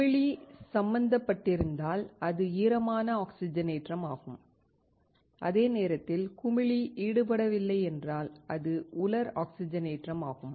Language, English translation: Tamil, If the bubbler is involved, it is wet oxidation, while if the bubbler is not involved, it is dry oxidation